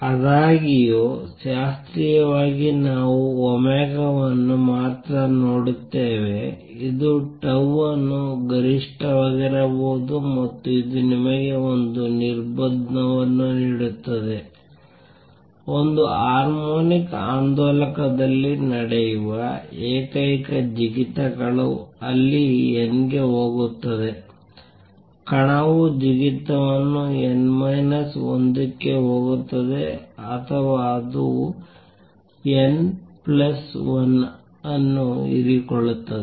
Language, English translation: Kannada, However, classically we see only omega this implies tau at max can be one and this gives you a restriction that in a harmonic oscillator the only jumps that takes place are where n goes the particle makes the jump n goes to n minus 1 or if it absorbs n plus 1